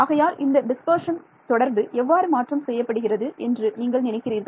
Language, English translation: Tamil, So, these dispersion relation how do you think it will get modified